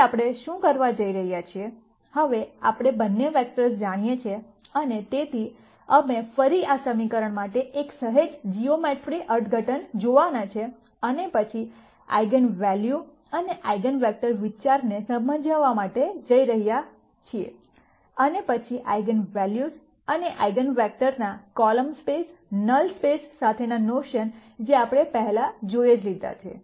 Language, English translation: Gujarati, Now what we are going to do is, now that we know both vectors and so on, we are going to look at a slightly geometrical interpretation for this equation again and then explain the idea of eigenvalues and eigenvectors and then connect the notion of these eigenvalues and eigenvectors with the column space, null space and so on that we have seen before